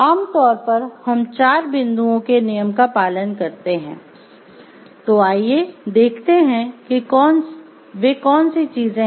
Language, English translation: Hindi, So, generally what we do we follow the four point rule, let us see what are those things